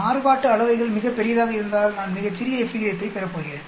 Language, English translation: Tamil, If the variances are very large I am going to get much smaller f ratio